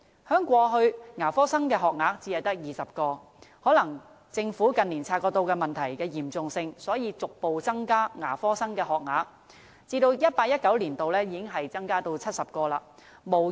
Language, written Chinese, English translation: Cantonese, 在過去，牙科生的學額每年只有20個，可能政府近年察覺到問題的嚴重性，所以逐步增加牙科生的學額，在 2018-2019 年度，已經增至70個。, In the past only 20 places for dental students were offered in a year . As the Government has probably recognized the problems severity in recent years dentistry places have been growing gradually and there will be 70 such places in 2018 - 2019